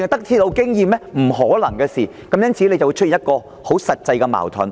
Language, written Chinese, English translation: Cantonese, "由於這是不可能的事，因此便會產生實際矛盾。, As this is simply impossible practical conflicts will arise